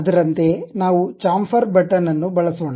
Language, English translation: Kannada, Similarly, let us use Chamfer button